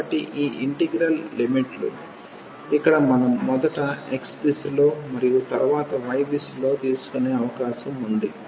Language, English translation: Telugu, So, the limits of this integral; here we have the possibility whether we take first in the direction of x and then in the direction of y it does not matter